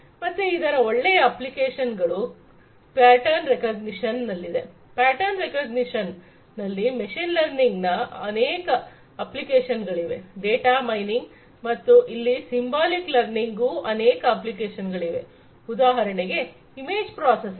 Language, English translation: Kannada, So, applications of this thing good applications would be in pattern recognition, machine learning has lot of applications in pattern recognition, data mining, and here symbolic learning has lot of applications in for example, image processing, image processing